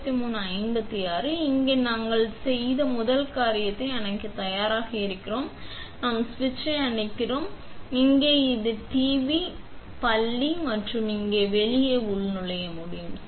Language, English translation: Tamil, Now, I ready to turn off first thing we do is we turn off the switch; here we also the tv school and then we can log out here